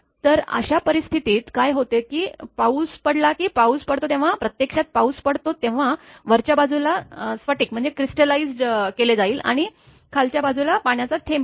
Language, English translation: Marathi, So, in that case what happen that when a rain you know that, when rain falls actually that upper side of the that that the ice that the upper side will be crystallized and bottom side will be water drop droplet